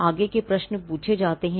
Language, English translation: Hindi, The further questions are asked